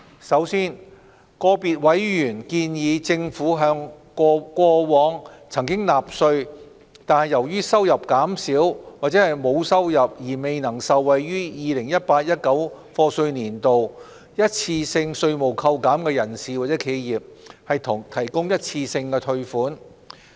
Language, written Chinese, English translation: Cantonese, 首先，個別委員建議政府向過往曾納稅但由於收入減少或沒有收入而未能受惠於 2018-2019 課稅年度一次性稅務扣減的人士或企業，提供一次性退稅。, For starters individual members have suggested that the Government should provide a one - off tax refund to persons or enterprises that have paid tax in the past but will not benefit from the one - off tax reductions for the year of assessment 2018 - 2019 due to lowered or no income